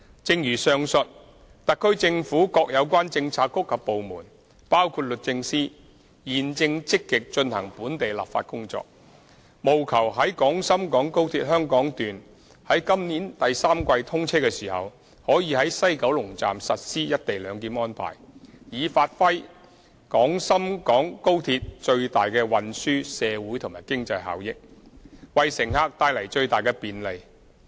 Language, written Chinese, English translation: Cantonese, 正如上述，特區政府各有關政策局及部門，包括律政司，現正積極進行本地立法工作，務求在廣深港高鐵香港段在今年第三季通車時，可在西九龍站實施"一地兩檢"安排，以發揮廣深港高鐵最大的運輸、社會和經濟效益，為乘客帶來最大的便利。, As mentioned above the relevant bureaux and departments of the HKSAR Government including the Department of Justice are now actively taking forward the work relating to the local legislative process with a view to implementing the co - location arrangement upon the commissioning of the Hong Kong Section of XRL in the third quarter this year in order to fully unleash the transport social and economic benefits of XRL and maximize convenience to passengers